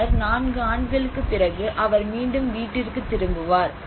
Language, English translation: Tamil, Then after 4 years he will again find his way back to home